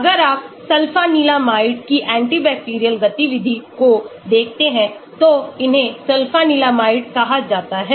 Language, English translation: Hindi, if you look at anti bacterial activity of sulfanilamide, these are called sulfanilamide